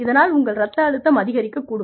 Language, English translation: Tamil, Your blood pressure, could go up